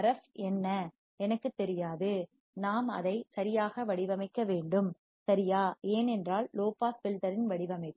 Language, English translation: Tamil, Now, what is my Rf, I do not know suppose we have to design it right, because design of low pass filter